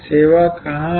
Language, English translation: Hindi, Where is the service